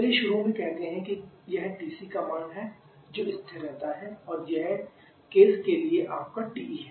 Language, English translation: Hindi, Let us say initially this is the value of TC which remains constant this is your TE for case one